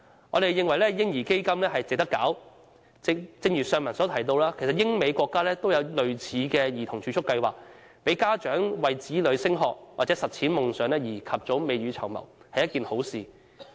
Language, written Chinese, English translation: Cantonese, 我們認為"嬰兒基金"值得推行，正如先前提到，英、美等國家也設有類似的兒童儲蓄計劃，讓家長為子女升學和實踐夢想及早未雨綢繆，這是一件好事。, We think it is worthy to introduce the baby fund . As I mentioned earlier other countries like the United Kingdom and the United States have implemented similar children savings plans to encourage parents to plan ahead for their children in further studies and the pursuit of dreams which is most desirable